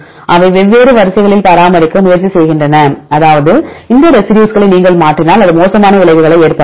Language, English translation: Tamil, They try to maintain in different sequences means if you alter these residues it will have adverse effects